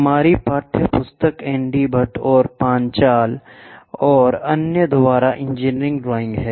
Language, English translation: Hindi, Our text book is engineering drawing by ND Bhatt, and Panchal, and others